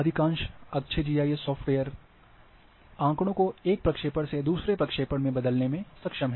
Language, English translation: Hindi, Most of the GIS good GIS softwares are capable of changing, data from one projection to another